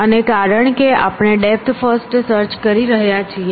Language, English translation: Gujarati, So, we are doing depth first search